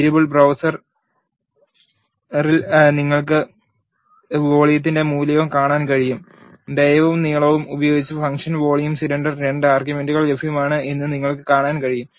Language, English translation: Malayalam, In the variable browser you can also see value of volume and you can also see that the function volume cylinder is available with two arguments dia and length